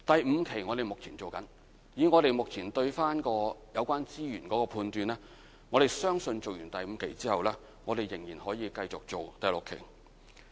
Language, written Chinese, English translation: Cantonese, 以我們目前對有關資源的判斷，相信在完成第五期後，仍然可以繼續進行第六期。, We are now carrying out Batch V of the Revitalization Scheme and upon its completion we will probably continue with Batch VI judging from the existing resources concerned